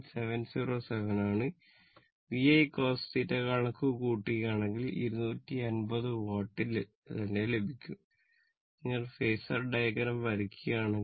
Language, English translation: Malayalam, 707 so if you calculate VI cos theta you will get the same value 250 watt right so; that means, if you draw the phasor diagram